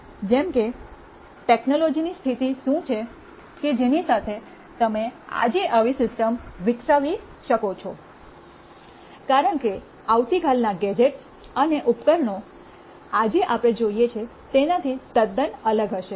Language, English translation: Gujarati, Like, what is the state of technology with which you can develop such a system today, because tomorrow’s gadgets and devices will be quite different from what we see today